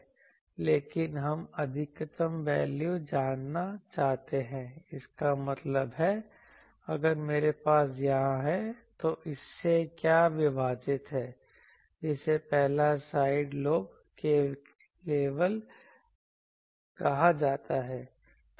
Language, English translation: Hindi, But we want to know that this maximum value that means, if I have here, what is this divided by this; that is called 1st side lobe level